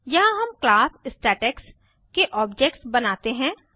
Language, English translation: Hindi, Here we create objects of class statex